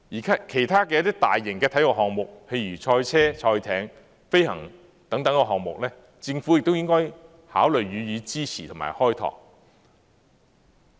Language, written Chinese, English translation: Cantonese, 其他一些大型體育項目，譬如賽車、賽艇和飛行等項目，政府亦應考慮予以支持和開拓。, The Government should also consider supporting and exploring other mega sports events such as motor racing rowing and aviation